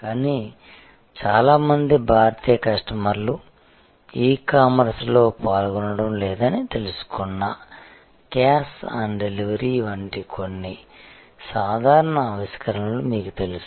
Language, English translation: Telugu, But, they you know did some simple innovation like cash on delivery, sensing that the many Indian customers were not participating in E commerce